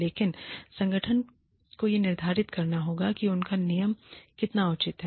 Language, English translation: Hindi, But, the organization has to determine, how reasonable their rule is